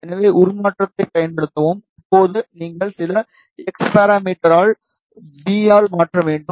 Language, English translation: Tamil, So, use transform, and now so you need to transform in V by some x parameter